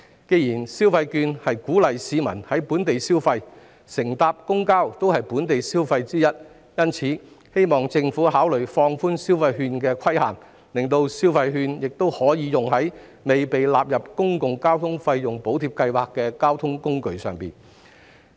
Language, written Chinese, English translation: Cantonese, 既然消費券是鼓勵市民在本地消費，而乘搭公交也是其中一種本地消費，因此，我希望政府考慮放寬消費券的限制，讓市民可在未被納入公共交通費用補貼計劃的交通工具上使用消費券。, As the consumption vouchers aim to encourage local consumption which includes taking public transport I hope the Government will consider relaxing the restriction on the use of the vouchers so that people can use them on the public transport which has not been covered in PTFSS